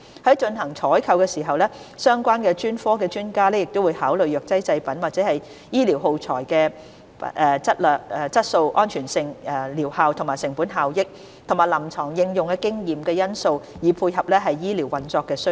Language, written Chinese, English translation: Cantonese, 在進行採購時，相關專科的專家會考慮藥劑製品或醫療耗材的質素、安全性、療效、成本效益及臨床應用經驗等因素，以配合醫療運作需要。, When procuring pharmaceutical products or medical consumables experts from relevant specialties will consider various factors such as quality safety efficacy cost - effectiveness and experience from the clinical application of the product to ensure that they meet the operational needs